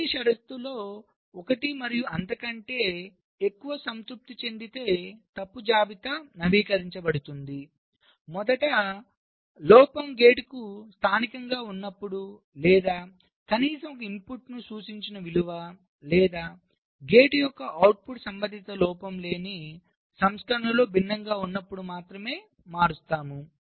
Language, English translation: Telugu, fault list will be updated if one and more of the following conditions are satisfied: firstly, of course, the fault is local to the gate or the value implied at at least one input or the output of the gate is different from that in the corresponding fault free version